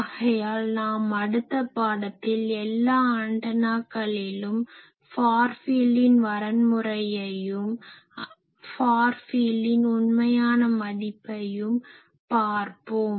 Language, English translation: Tamil, So, in the next class we will say that for all antennas, what is the criteria of far field and what is the exact far field